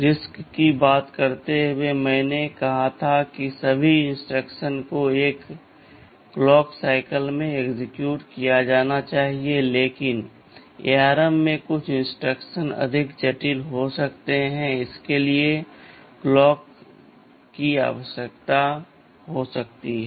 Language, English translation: Hindi, WSo, while talking of RISC, I said all instructions should be exhibited executed in a single clock cycle, but in ARM some of the instructions can be more complex, it can require multiple clocks such instructions are there